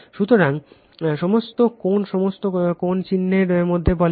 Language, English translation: Bengali, So, all angle all angle say between mark right